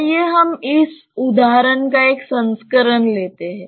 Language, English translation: Hindi, Let us take a variant of this example